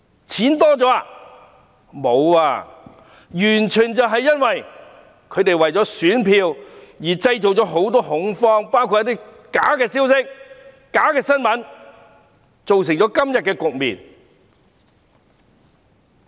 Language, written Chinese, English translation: Cantonese, 全都不是，完全是因為反對派為了選票，透過假消息和假新聞等製造恐慌，造成今天的局面。, No . The current situation is resulted entirely because opposition Members have created terror by false messages and fake news in order to obtain votes